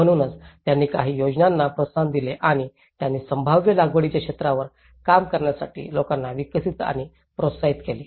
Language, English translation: Marathi, So, that is where they have also promoted certain schemes and they also developed and encouraged the people to work on the possible cultivated areas